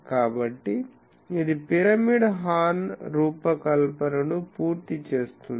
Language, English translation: Telugu, So, this completes the design of a pyramidal horn